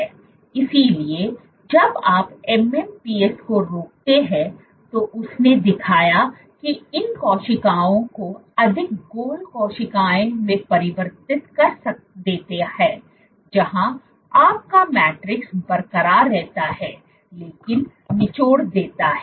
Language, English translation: Hindi, So, when you inhibit MMPs; inhibit MMPs, what he showed was these cells transition into more rounded cells where your matrix remains intact, but they squeeze